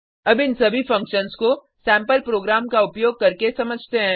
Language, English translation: Hindi, Now let us understand all these functions using a sample program